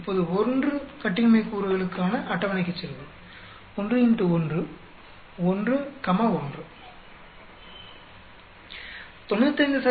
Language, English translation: Tamil, Now, let us go to the table for 1 degree of freedom, 1 into 1, 1 comma 1